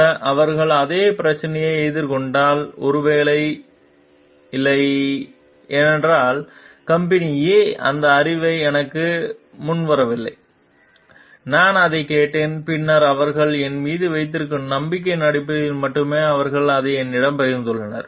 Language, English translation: Tamil, Even, if they are facing the same problem maybe, no, because company A has not volunteered that knowledge to me, I have asked for it then only they have shared it to me based on the trust that they may have on me